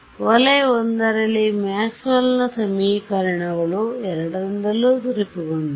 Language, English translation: Kannada, In region I Maxwell’s equations is satisfied by both